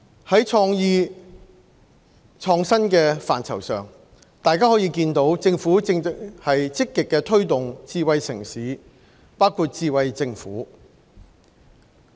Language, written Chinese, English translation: Cantonese, 在創意創新的範疇上，大家可以見到政府正在積極推動智慧城市，包括智慧政府。, With regard to creativity and innovation we can see the Government promote smart city initiatives proactively including those on the Smart Government